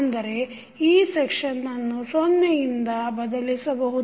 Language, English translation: Kannada, It means that this particular section you can replace by 0